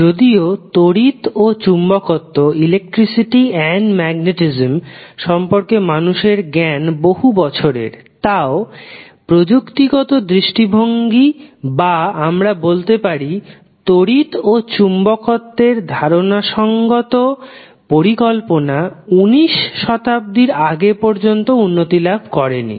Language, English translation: Bengali, So, although the electricity and magnetism was known to mankind since ages but the the technical aspect or we can say the conceptual scheme of that electricity and magnetism was not developed until 19th century